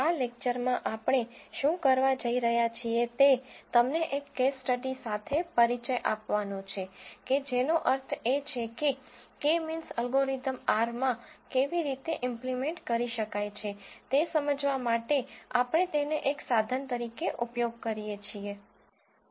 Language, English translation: Gujarati, In this lecture, what we are going to do is to introduce you to a case study which we use as a means to explain how K means algorithm can be implemented in R